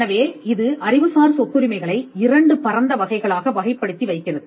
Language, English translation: Tamil, So, this makes intellectual property rights, it puts intellectual property rights into 2 broad categories 1